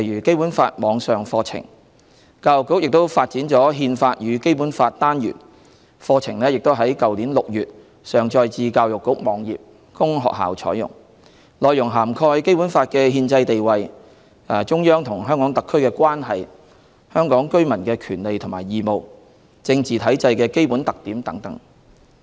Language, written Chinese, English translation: Cantonese, 教育局也發展了"憲法與《基本法》"單元，課程已在去年6月上載至教育局網頁供學校採用，內容涵蓋《基本法》的憲制地位、中央和香港特區的關係、香港居民的權利和義務、政治體制的基本特點等。, The Education Bureau has also developed a Constitution and the Basic Law module which has been uploaded onto the Education Bureaus website for use by schools since June last year . The topics covered include the constitutional status of the Basic Law relationship between the Central Authorities and the HKSAR rights and duties of Hong Kong residents and basic characteristics of the political structure etc